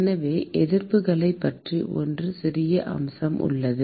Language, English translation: Tamil, So, there is 1 small aspect about resistances